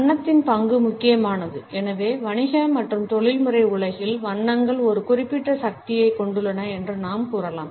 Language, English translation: Tamil, The role of color is important and therefore, we can say that colors hold a certain power in business and professional world